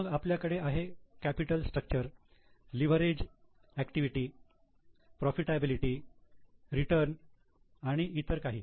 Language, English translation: Marathi, Then we have got capital structure, leverage, activity, profitability, return and so on